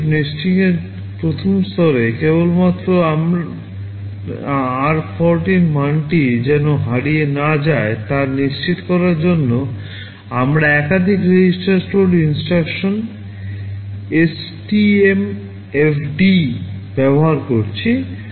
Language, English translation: Bengali, In the first level of nesting, just to ensure that my r14 value does not get lost, we are using a multiple register store instruction STMFD